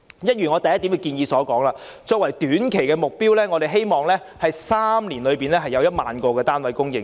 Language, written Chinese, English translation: Cantonese, 一如我在議案第一部分所述，作為短期目標，我們希望在3年內會供應1萬個單位。, As I say in part 1 of my motion as a short - term target we hope that 10 000 units will be provided within three years